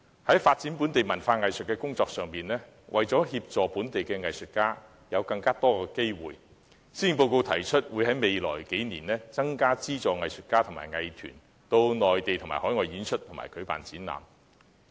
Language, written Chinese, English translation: Cantonese, 在發展本地文化藝術的工作方面，為讓本地藝術家能有更多發展機會，施政報告提出在未來數年增加資助藝術家和藝術團體到內地和海外演出及舉辦展覽。, Regarding the efforts in developing local culture and arts the Policy Address proposes to provide funding support for more artists and arts groups t o stage performances and hold exhibitions both in the Mainland and abroad in the coming years so as to offer local artists more opportunities for development